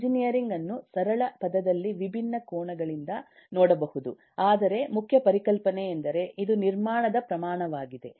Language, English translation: Kannada, engineering, in very simple terms, can be look at from different angles, but the core concept is: it is a scale of construction